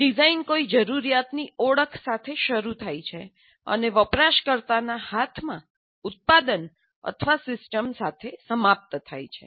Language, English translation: Gujarati, The design begins with identification of a need and ends with the product or system in the hands of a user